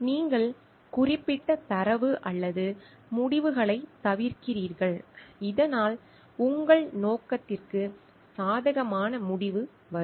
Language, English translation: Tamil, You are omitting certain data or results, so that a favourable result which favours your purpose is coming